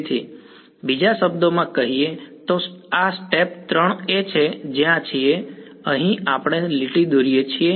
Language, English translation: Gujarati, So, in other words this step 3 is where we draw the line here is where we draw the line